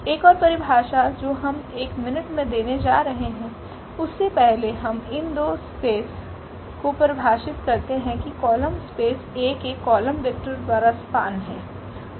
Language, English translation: Hindi, One more definition we are going to give in a minutes, before that we just define these two spaces the column space is nothing but the span of the column vectors of A